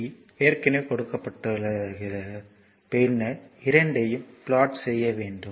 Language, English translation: Tamil, Qt is already given only it you have to plot it you have to find out then plot both right